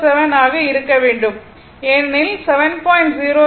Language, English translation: Tamil, 7 because 7